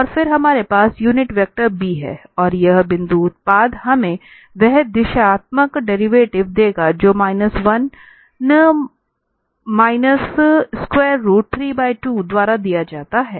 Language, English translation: Hindi, And then we have the unit vector b and this dot product will give us that directional derivative which is given by minus 1 minus the square root 3 by 2